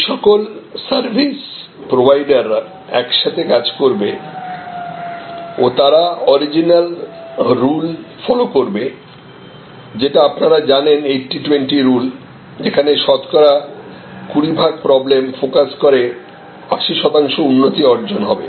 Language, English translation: Bengali, And all these service providers will be working together they will follow the original you know rules like 80, 20 rules focusing on those 20 percent problems, which will provide the 80 percent improvement